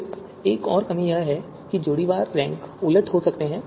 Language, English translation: Hindi, Then the another drawback is that pairwise rank reversal might occur